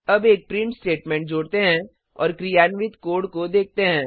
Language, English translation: Hindi, now Let us add a print statement and see the code in action